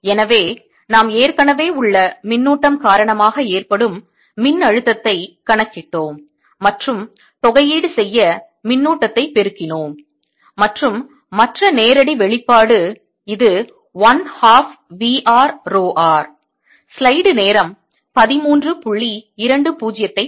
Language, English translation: Tamil, and therefore we did calculator the potential due to the existing charge and multiply by the floating charge integrated and the other directs expression, which is one half v r o r